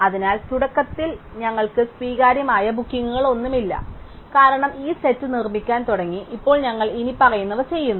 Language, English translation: Malayalam, So, initially we have no accepted bookings, because we just starting to build this set and now we do the following